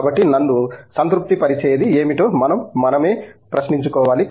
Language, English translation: Telugu, So, and we have to actually ask ourselves what satisfies me